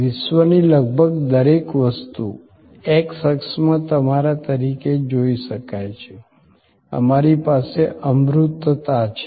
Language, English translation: Gujarati, That almost everything in the world can be seen as you in the x axis, we have intangibility